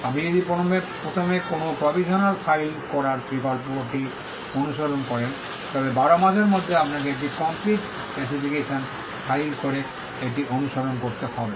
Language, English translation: Bengali, If you follow the option of filing a provisional first, then within a period of 12 months you have to follow it up with by filing a complete specification